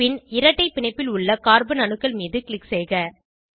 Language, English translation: Tamil, Then click on the carbon atoms involved in the double bond